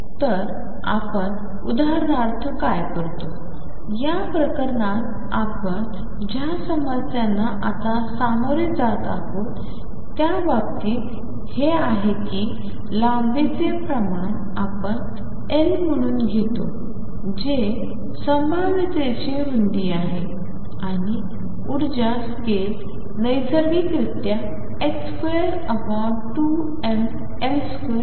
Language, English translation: Marathi, So, what we do for example, in this case in the case of the problems that we are dealing with right now is that length scale we will take to be L that is the width of the potential and the energy scale naturally becomes h cross square over ml square